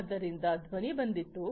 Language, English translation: Kannada, So, the sound came